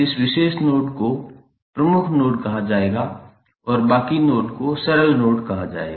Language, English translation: Hindi, This particular node would be called as principal node and rest of the other nodes would be called as a simple node